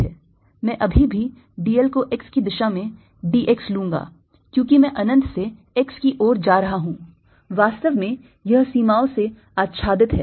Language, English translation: Hindi, i'll still take d l to be d x along x, because that i am moving in from infinity to x is actually covered by the limits